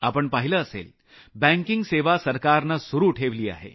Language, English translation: Marathi, You might have noticed that the government has kept the banking services open